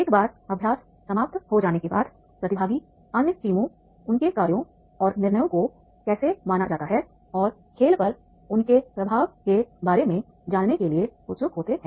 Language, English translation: Hindi, Once the exercise is over, the participants are keen to find out just how their actions and decisions were perceived by other teams and their impact on the game